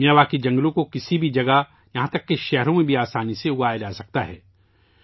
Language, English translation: Urdu, Miyawaki forests can be easily grown anywhere, even in cities